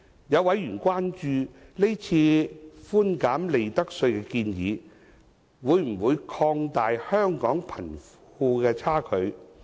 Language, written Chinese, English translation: Cantonese, 有委員關注，是次寬減利得稅的建議，會否擴大香港的貧富差距。, A member is concerned about whether the proposal on reducing profits tax will widen the wealth gap in Hong Kong